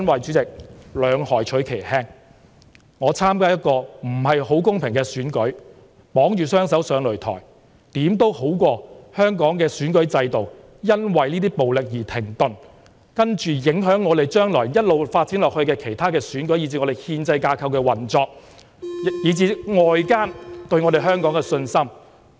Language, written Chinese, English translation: Cantonese, 主席，兩害取其輕，我參加一個不太公平的選舉，綁着雙手上擂台，也總勝過香港的選舉制度因為這些暴力而停頓，之後影響將來一直發展下去的其他選舉，以至憲制架構的運作，以及外界對香港的信心。, President picking the lesser of two evils it is better for me to participate in this not so fair election having my hands tied in the ring than to let the election be cancelled as a result of violence . Then it will influence the subsequent elections and then the operation of our constitutional framework and even the outside worlds confidence in Hong Kong